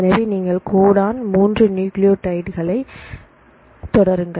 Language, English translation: Tamil, So, first you continue the codons 3 nucleotides